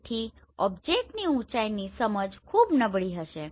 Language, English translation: Gujarati, So object height perceptions will be very poor